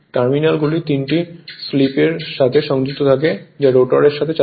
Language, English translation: Bengali, The terminals are connected to 3 sleeping which turn with the rotor